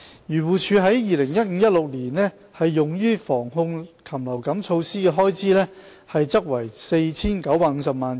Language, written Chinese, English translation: Cantonese, 漁護署在 2015-2016 年度用於防控禽流感措施的開支為 4,950 萬元。, AFCDs expenditure on avian influenza prevention and control was 49.5 million in 2015 - 2016